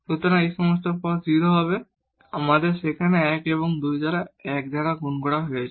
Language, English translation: Bengali, So, all these terms will be 0, we have 1 there and 2 multiplied by 1